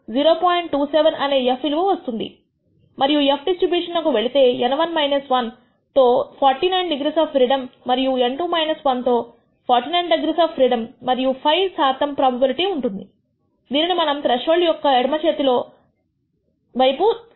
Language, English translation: Telugu, 27, and if you go to the f distribution with N 1 minus 1 which is 49 degrees of freedom and N 2 minus 1 which is 49 degrees of freedom and ask 5 percent probability which we break it up as two, left of the threshold should be 2